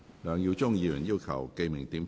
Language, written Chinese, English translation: Cantonese, 梁耀忠議員要求點名表決。, Mr LEUNG Yiu - chung has claimed a division